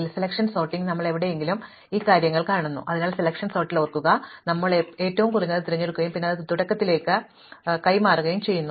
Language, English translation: Malayalam, Because, in selection sort wherever we do this long distance thing, so remember in selection sort we pick the minimum and then we exchange it with the beginning